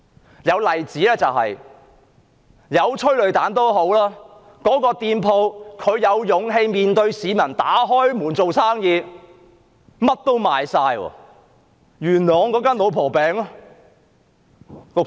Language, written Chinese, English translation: Cantonese, 有一個例子，就是即使有催淚彈，雖然店鋪有勇氣面對市民，繼續營業，結果所有商品都沽清。, One example is that despite the tear gas a shop had the courage to remain open to the public and continued business as usual . In the end it sold out of all its goods